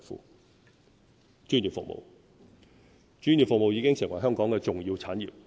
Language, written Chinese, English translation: Cantonese, 表1專業服務專業服務已經成為香港的重要產業。, Table 1 Professional services are an important economic sector